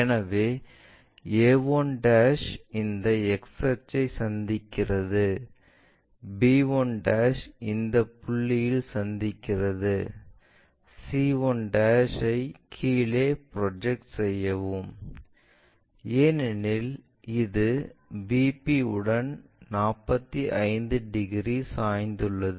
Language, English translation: Tamil, So, a 1' meeting this x axis, b 1' meeting at this point, project this c 1' all the way down because it is supposed to make 45 degrees with VP